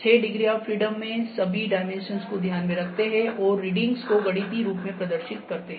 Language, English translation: Hindi, The six degrees of freedom that is all the dimensions all the taken into account, and display the reading is in mathematical form